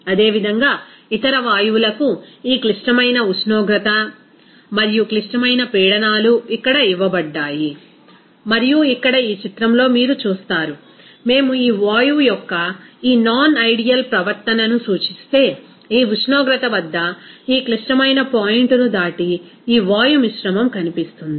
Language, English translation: Telugu, Similarly, for other gases this critical temperature and critical pressures are given here and here in this figure you see that if we represent this non ideal behavior of this gas, you will see that beyond this critical point at this temperature, this gaseous mixture will not actually be able to convert into that liquid form